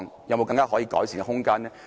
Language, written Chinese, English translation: Cantonese, 有沒有可改善的空間呢？, Is there any room for improvement?